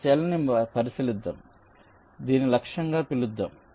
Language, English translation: Telugu, let say, let us consider this cell, so lets call this was the target